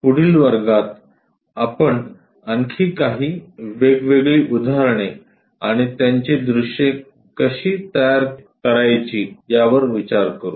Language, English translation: Marathi, In next class we will look at different few more problems and how to construct their views